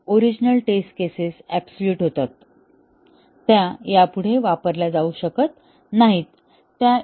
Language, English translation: Marathi, Some of the original test cases become obsolete; they cannot be used anymore